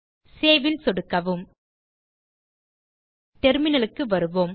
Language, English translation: Tamil, Click on Save Come back to the terminal